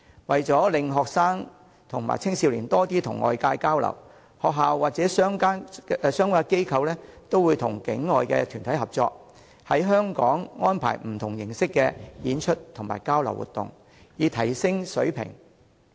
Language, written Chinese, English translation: Cantonese, 為令學生及青少年多與外界交流及提升水平，學校或相關機構都會與境外團體合作，在香港安排不同形式的演出及交流活動。, To provide more exchange opportunities for students and young people and to upgrade their standards schools or relevant institutions will collaborate with non - Hong Kong organizations in holding different types of performances and exchange activities in Hong Kong